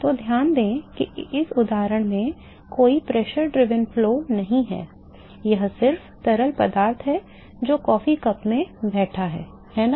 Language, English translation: Hindi, So, note that in this example there is no pressure driven flow, it is just fluid which is sitting in a coffee cup, right